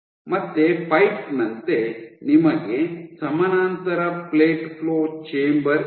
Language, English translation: Kannada, Where again like a pipe, you have a parallel plate flow chamber